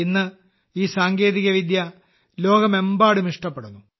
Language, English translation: Malayalam, Now this technique is being appreciated all over the world